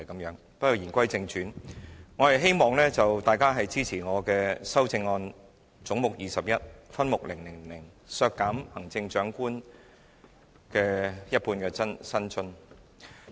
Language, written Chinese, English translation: Cantonese, 不過，言歸正傳，我希望大家支持我的修正案，是就總目 21， 分目 000， 削減行政長官的一半薪津預算。, I hope Members can support my amendment on reducing head 22 by an amount equivalent to half of the Chief Executives emoluments in respect of subhead 000